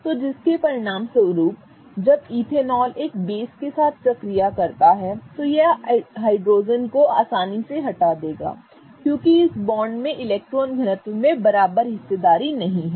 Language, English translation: Hindi, So, as a result of which when ethanol reacts with a base, this particular hydrogen will be easily removed because it doesn't hold an equal share in the bond electron density